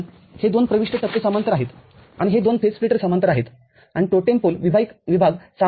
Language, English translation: Marathi, These two input stages are in parallel and these two phase splitters are in parallel, and the totem pole part is common